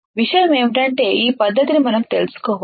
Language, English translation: Telugu, The point is that we should know this technique